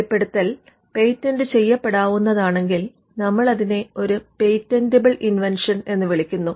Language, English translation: Malayalam, So, if the disclosure is patentable, that is what we call a patentable invention